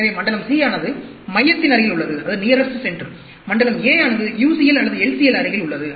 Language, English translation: Tamil, So, zone c is nearest; zone a is nearest the UCL or the LCL